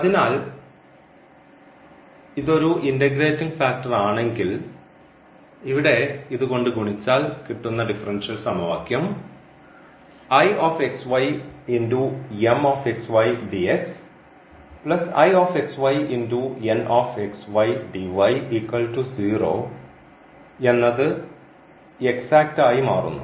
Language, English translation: Malayalam, So, this is the integrating factor of this differential equation meaning if you multiply by this x to this differential equation the equation will become exact